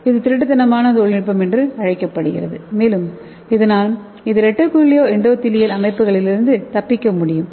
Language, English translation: Tamil, That is called as stealth technology and it can escape from the reticulo endothelial systems